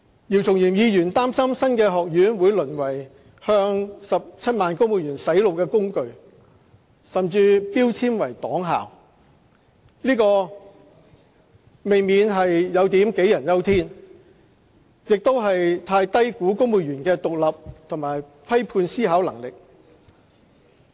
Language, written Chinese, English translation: Cantonese, 鄭松泰議員擔心新學院會淪為向17萬公務員"洗腦"的工具，甚至標籤為"黨校"，這未免有點杞人憂天，亦太低估公務員的獨立和批判思考能力。, Dr CHENG Chung - tai was concerned that the new college will be degenerated to the brainwashing tool for 170 000 civil servants he even labelled it as party school . These are groundless and farfetched fears and he had underestimated the independent judgment and critical thinking of civil servants